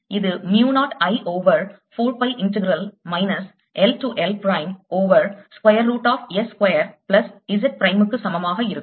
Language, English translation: Tamil, this is going to be equal to mu naught i over four pi integral minus l to l d z prime over square root of s square plus z prime square